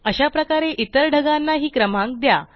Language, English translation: Marathi, Similarly number the other clouds too